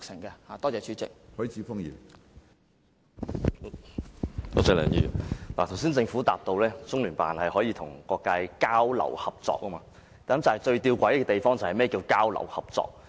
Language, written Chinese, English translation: Cantonese, 政府當局剛才回答，中聯辦可與各界交流合作，但最弔詭的是，何謂"交流合作"。, The Administration replies that CPGLO can have exchanges and cooperation with various social sectors . But very interestingly what is meant by exchanges and cooperation?